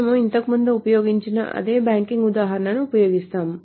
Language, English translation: Telugu, So we will use the same banking example as we have been using earlier